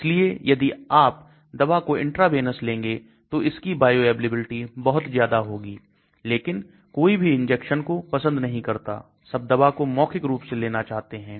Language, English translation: Hindi, So if drugs are taken intravenous you will have very high bioavailability, but nobody likes injection, everybody likes oral drug